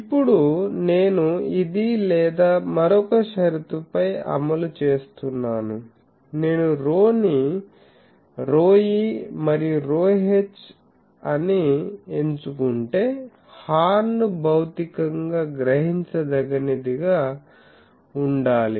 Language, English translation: Telugu, Now, I enforce on this or another condition for this I will have to satisfy that, if I choose this rho is rho e and rho h, the horn should be physically realizable